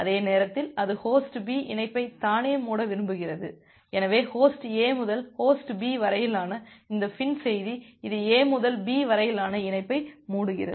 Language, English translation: Tamil, And at the same time it Host B wants to close the connection itself, so this FIN message from Host A to Host B it is closing the connection from A to B